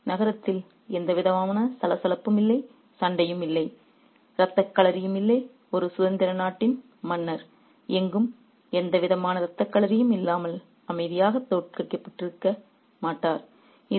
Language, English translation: Tamil, So, there was no commotion in the city and no fighting, no bloodshed, nowhere the king of a free country would have been defeated so quietly without any bloodshed